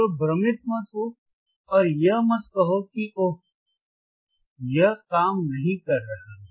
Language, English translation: Hindi, So, do not get confused and do not say that oh it is not working